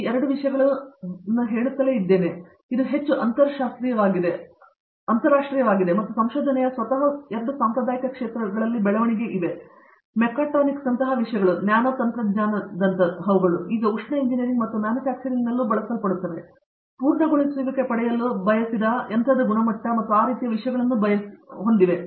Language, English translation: Kannada, So, these 2 things are happening just say, this is becoming more interdisciplinary and there are also developments within the traditional areas of research itself, things like Mechatronics, things like Nanotechnology which is now being used in Thermal Engineering as well as in Manufacturing also, to get desired finishes, desired quality of machining and things like that